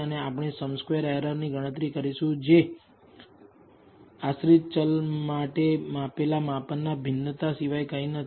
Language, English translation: Gujarati, And we will compute sum squared errors which is nothing but the variance of the measured measurements for the dependent variable